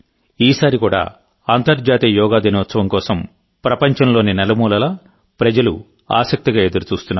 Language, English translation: Telugu, This time too, people in every nook and corner of the world are eagerly waiting for the International Day of Yoga